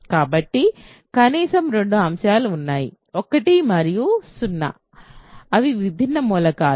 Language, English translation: Telugu, So, there are at least two elements; 1 and 0 they are distinct elements